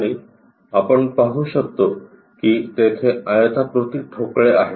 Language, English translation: Marathi, And we can see there are rectangular blocks